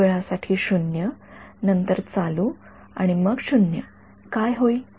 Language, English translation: Marathi, 0 for so much time, then on and then 0 what will happen